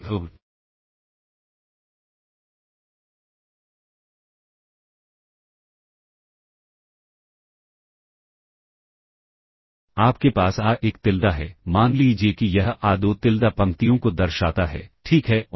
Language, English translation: Hindi, So, you have a1Tilda, let us say denotes the rows a2Tilda, ok and